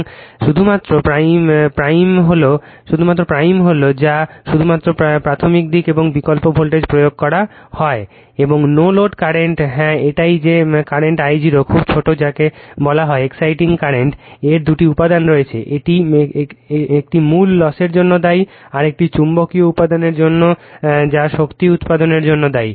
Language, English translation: Bengali, And only prime only you are what you call that only primary side and alternating voltage are applied and this no load current yeah that is your what you call the current I 0 is very small that is called your exciting current it has two component, one is responsible for that your core losses another is for magnetizing component that is responsible for producing powers